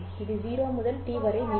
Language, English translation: Tamil, It will last from 0 to T